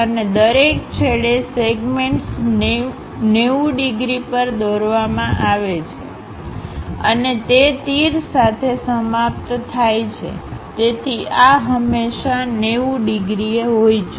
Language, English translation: Gujarati, And the segments at each end drawn at 90 degrees and terminated with arrows; so, this always be having 90 degrees